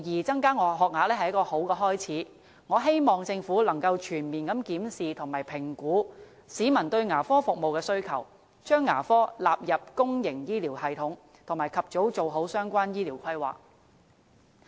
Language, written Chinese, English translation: Cantonese, 增加學額無疑是一個好開始，我希望政府能夠全面檢視和評估市民對牙科服務的需求，將牙科納入公營醫療系統，並及早完善相關的醫療規劃。, The increase in school places is definitely a good start and I hope the Government can comprehensively examine and evaluate peoples demand for dental services include dental service into the public health care system and improve the relevant health care planning in good time